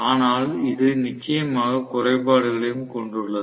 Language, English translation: Tamil, But this definitely has the disadvantage as well